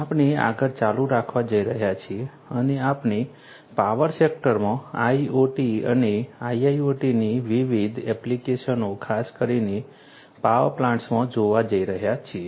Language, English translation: Gujarati, We are going to continue further and we are going to look at different other applications, applications of IoT and IIoT in the power sector more specifically in the power plants